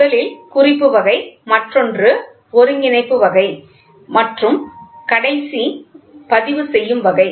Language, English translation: Tamil, So, first is indicating, the other one is integrating and the last one is the recording